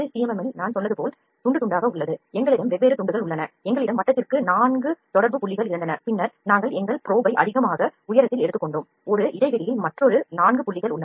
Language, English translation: Tamil, So, what happens in there, this is the slicing way like I said in the CMM we have different slices we had 4 contact points for the circle, then we took our probe at a at a little high, done a gap have another 4 points